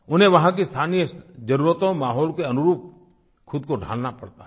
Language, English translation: Hindi, They have to mould themselves according to the local needs and environment